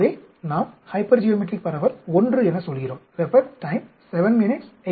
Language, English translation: Tamil, So, we say hypergeometric distribution I d I s